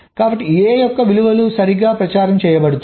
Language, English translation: Telugu, so the value of a is getting propagated, right